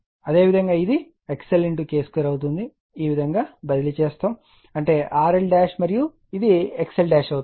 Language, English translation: Telugu, Similarly, it will be X L into K square the way you have transformed this, that is you R L dash and that will your X L dash